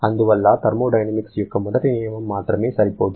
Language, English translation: Telugu, Therefore, first law of thermodynamics alone is not sufficient